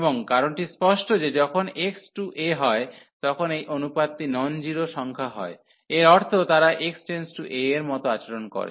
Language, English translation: Bengali, And the reason is clear that when x goes to a, this ratio is the non zero number that means, they behave the same as x approaches to a